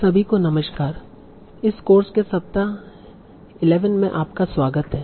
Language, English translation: Hindi, Hello everyone, welcome to the week 11 of this course